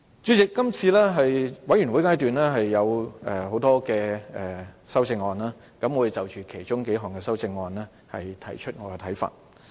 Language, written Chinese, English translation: Cantonese, 主席，今次全體委員會階段有很多修正案，我會就其中數項修正案提出我的看法。, Chairman many Committee stage amendments CSAs have been proposed this time around . I will express my views on a couple of these CSAs